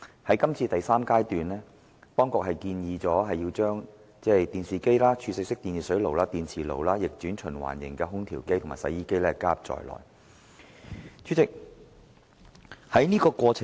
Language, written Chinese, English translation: Cantonese, 在這第三階段，當局建議將電視機、儲水式電熱水器、電磁爐、逆轉循環型空調機及洗衣機加入涵蓋範圍。, Now at the third phase the Government proposes to include televisions storage type electric water heaters induction cookers room air conditioners of reverse cycle type and washing machines